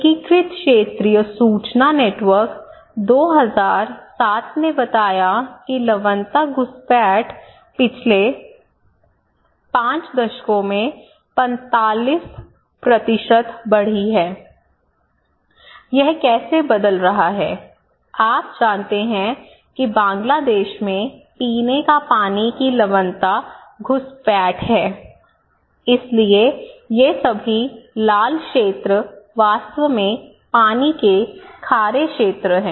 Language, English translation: Hindi, Integrated Regional Information Network, 2007 reporting salinity intrusion has risen by 45% in the last 5 decades, 45%, you can see this one in 1973 and 1997, how this is changing, you know water salinity in Bangladesh, is water salinity intrusion okay, so, these all red areas are actually water saline areas